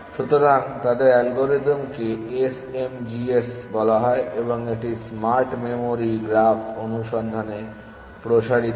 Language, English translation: Bengali, So, their algorithm is called SMGS and it expands to smart memory graph search